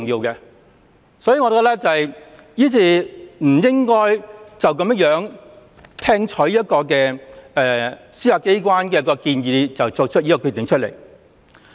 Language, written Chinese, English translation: Cantonese, 因此，我們不應該隨便聽取一個司法機關的建議便作出決定。, Therefore we should not make a decision by causally listening to one proposal of the Judiciary